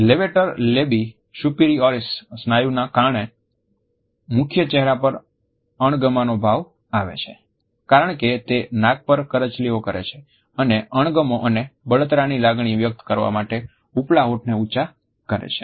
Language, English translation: Gujarati, The levator labii superioris muscle is the main facial contraction of disgust as it wrinkles the nose and raises the upper lip to express feelings of dislike and revulsion